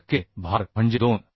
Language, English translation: Marathi, 5 percent of load means 2